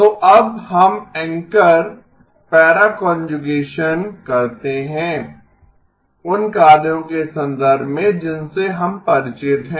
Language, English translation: Hindi, So now let us anchor para conjugation in terms of the operations that we are familiar with